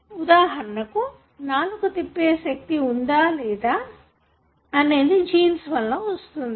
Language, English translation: Telugu, Even for example, the ability to roll tongue or not is contributed by the genes